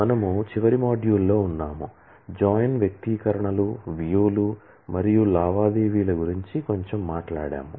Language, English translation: Telugu, We have in the last module; talked about join expressions, views and transaction in a bit